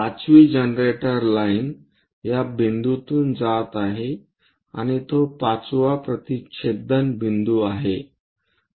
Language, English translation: Marathi, 5th generator line is passing through this point and 5th one intersecting point that